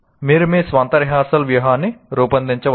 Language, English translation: Telugu, You can design your own rehearsal strategy